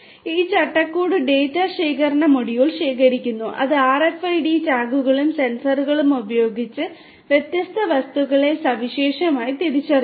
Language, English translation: Malayalam, This framework collects the data the data collection module is there which uniquely identifies the different objects with RFID tags and sensors